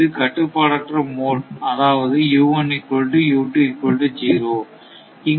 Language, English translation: Tamil, Because, it is uncontrolled mode